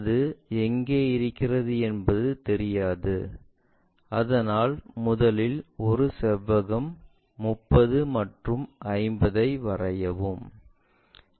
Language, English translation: Tamil, Where it is present, we do not know because of that reason what we do is first of all draw a rectangle 30 and 50, so make 50